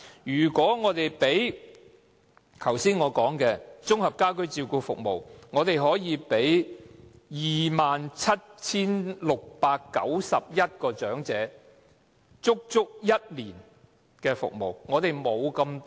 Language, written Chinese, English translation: Cantonese, 如果以我剛才提到的綜合家居照顧服務來說，可以為 27,691 名長者提供足足一年的服務。, If the amount is spent on the Integrated Home Care Services which I mentioned just now it can provide a full year of services to 27 691 elderly persons